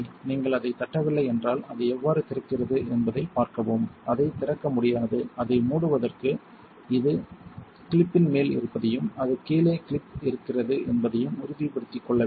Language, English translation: Tamil, If you do not latch it see how it opens up it should not be open able, to close it you want to pull it make sure this is over the clip and that it clips down